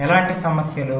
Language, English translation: Telugu, so what kind of problems